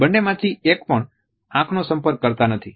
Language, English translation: Gujarati, Neither one of them really makes eye contact